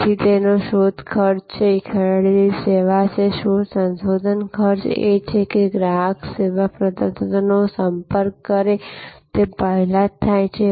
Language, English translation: Gujarati, So, there is search cost, there is purchase and service, search research cost is that happens even before the consumer is approaching the service provider